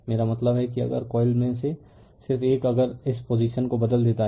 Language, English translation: Hindi, I mean if you the if you just one of the coil if you just change this position right